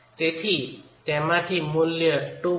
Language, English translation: Gujarati, So, it is from that that this value 2